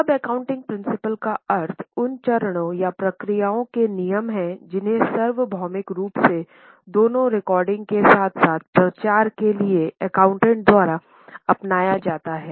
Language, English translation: Hindi, Now, accounting principle means those rules of conduct or procedures which are adopted by accountants universally for both recording as well as for disseminating